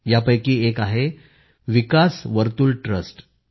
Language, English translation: Marathi, Of these one is Vikas Vartul Trust